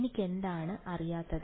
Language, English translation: Malayalam, What all do I not know